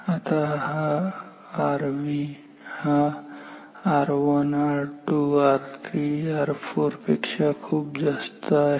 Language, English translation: Marathi, Now, R V is much much higher than R 1 R 2 R 3 and R 4